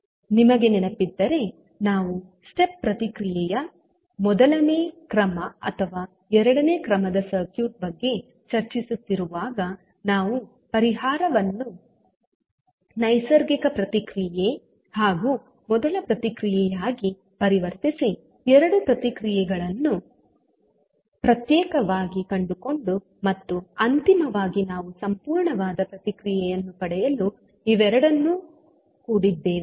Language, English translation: Kannada, So, if you remember when we are discussing about the step response of maybe first order, second order circuit we converted the solution into natural response and the first response and the found both of the response separately and finally we sum then up to get the final response